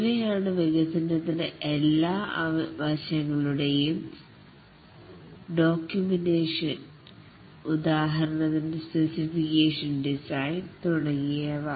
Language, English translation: Malayalam, And these are the documentation of all aspects of development, for example, specification, design, etc